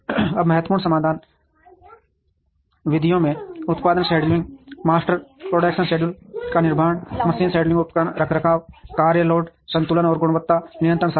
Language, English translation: Hindi, Now, important solution methods include production scheduling, construction of master production schedule, machine scheduling, equipment maintenance work load balancing, and quality control